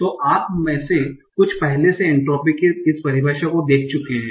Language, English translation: Hindi, So some of you might have already come across this term of entropy